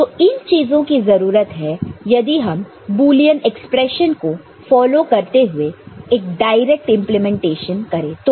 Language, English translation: Hindi, This is this was what was required if it goes for direct implementation just following the Boolean expression